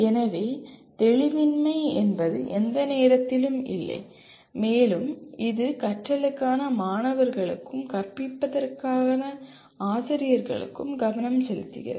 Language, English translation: Tamil, So there is no ambiguity at any time and it provides both focus to students for learning and to teachers for teaching